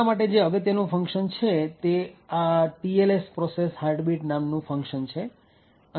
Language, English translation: Gujarati, So, the important function for us is this particular function that is the TLS process heartbeat okay